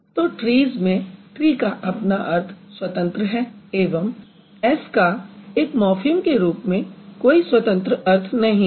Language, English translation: Hindi, So, tree as a word has independent meaning and S as a morphem does not have an independent meaning